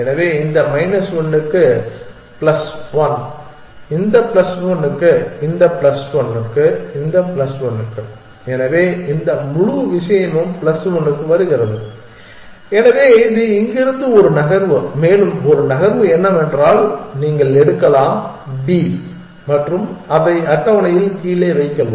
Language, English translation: Tamil, So, plus 1 for this minus 1 for this plus 1 for this minus 1 for this plus 1 for this, so this whole thing comes to plus 1 so that is one move from here and one more move is that you can pick up b and put it down on the table